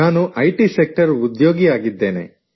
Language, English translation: Kannada, I am an employee of the IT sector